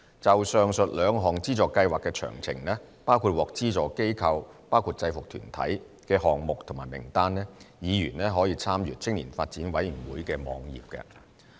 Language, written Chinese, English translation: Cantonese, 就上述兩項資助計劃的詳請，包括獲資助機構及項目的名單，議員可參閱青年發展委員會網頁。, For details of the above two funding schemes including the list of funded organizations and projects members may refer to the website of the YDC